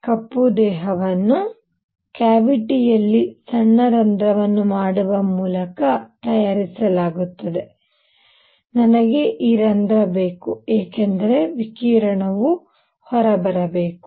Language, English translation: Kannada, So we have learnt: 1, a black body is made by making a cavity with a small hole in it, I need this hole because the radiation should be coming out